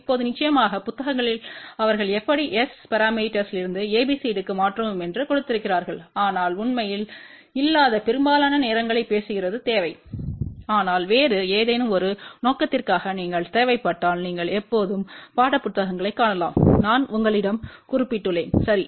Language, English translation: Tamil, Now, of course, in the books they have also given how to convert from S parameter to ABCD but actually speaking most of the time that is not required but if at all you require for some other purpose you can always see the textbooks which I have mentioned to you, ok